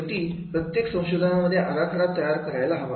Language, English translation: Marathi, Ultimately every research should come out with a design